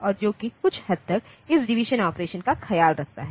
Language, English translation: Hindi, And that that takes care of this division operation a to some extent